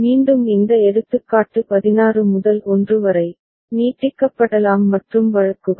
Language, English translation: Tamil, Again this example can be extended to 16 to 1 and cases